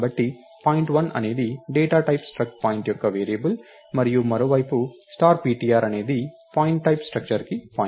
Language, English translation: Telugu, So, point1 is a variable of the data type struct point, and star ptr on the other hand is a pointer to the structure of the type point